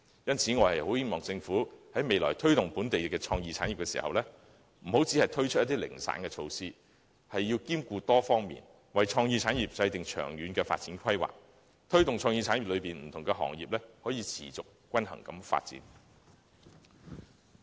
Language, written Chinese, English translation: Cantonese, 因此，我希望政府未來在推動本地創意產業時，不要只推出零散的措施，要兼顧多方面的事宜，為創意產業制訂長遠發展規劃，以推動創意產業內不同行業持續及均衡地發展。, As such I hope the Government can refrain from introducing piecemeal measures in promoting the local creative industries . Instead it should give consideration to issues on various fronts and formulate long - term development planning for the creative industries with a view to promoting the sustainable and balanced development of the various trades and industries under the creative industries